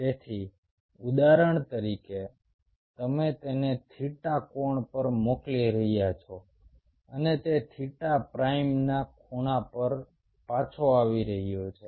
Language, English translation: Gujarati, so say, for example, you are sending it an angle of, say, theta and it is coming back at an angle of theta prime